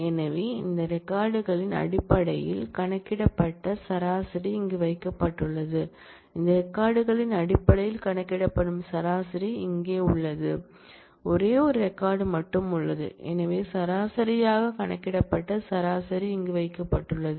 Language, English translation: Tamil, So, the average, that is computed over these records are put in here, average that is computed in terms of these records are put in here, there is only one record, so average that is computed in terms of that is put in here